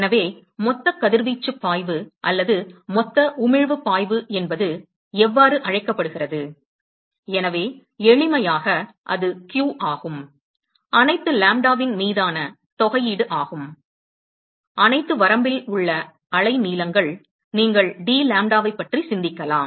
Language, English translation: Tamil, So, similarly one could define, what is called the total radiation flux or Total emission flux, Total emission flux or total radiation flux in general, so that, that is simply q, which will be integral over all lambda, all the whole range of the wavelengths, that you one can think off into dlambda